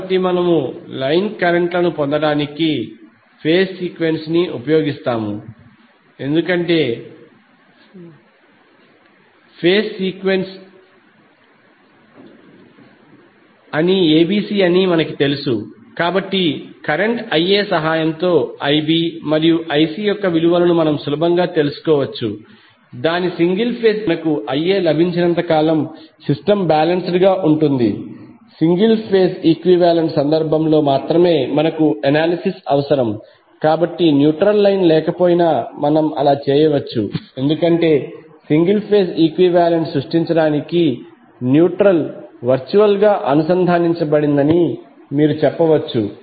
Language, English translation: Telugu, So we use phase sequence to obtain the other line currents because we know that the phase sequence is ABC, so we can easily find out the values of IB and IC with help of current IA which we got from its single phase equivalent so as long as the system is balanced we need only analysis in case of single phase equivalent, so we can all we may do so even if the neutral line is absent because you can say that neutral is virtually connected for creating the single phase equivalent